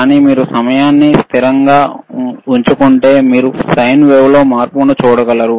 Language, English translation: Telugu, But if you keep that time constant, then you will be able to see the change in the sine wave